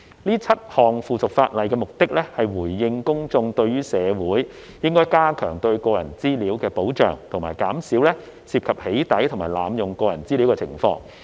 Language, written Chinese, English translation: Cantonese, 這7項附屬法例的目的，是回應公眾對於社會應該加強對個人資料的保障及減少涉及"起底"及濫用個人資料的情況。, These seven pieces of subsidiary legislation are made in response to the publics demand for enhancing protection for personal information and reducing cases of doxxing and personal data misuse